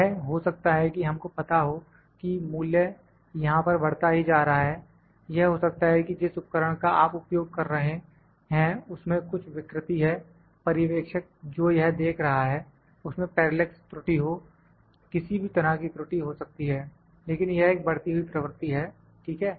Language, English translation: Hindi, It might be that we know the value is increasing here, it might be that the instrument that you are measuring with that might have got some deterioration in that or the observer who is observing is having some parallax error, any kind of error could be there, but this is a kind of an increasing trend, ok